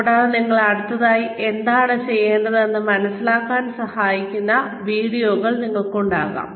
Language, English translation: Malayalam, And, you could have videos, that help you figure out what you need to do next